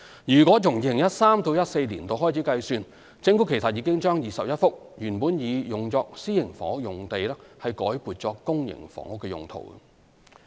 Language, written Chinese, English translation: Cantonese, 如自 2013-2014 年度開始計算，政府其實已將21幅原擬作私營房屋用地改撥作公營房屋用途。, From 2013 - 2014 onward the Government has actually converted 21 sites originally intended for private housing for public housing use